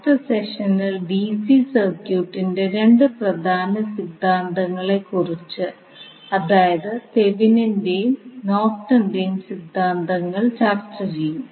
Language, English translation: Malayalam, In next session, we will discuss about two more important theorems which we discuss in case of DC circuit that are your Thevenin's and Norton’s theorem